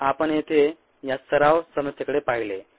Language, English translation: Marathi, then we looked at this ah practice problem